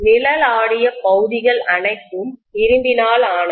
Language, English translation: Tamil, All the shaded regions are made up of iron, right